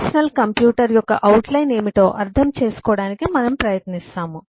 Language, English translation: Telugu, eh, we try to understand what is an outline of a personal computer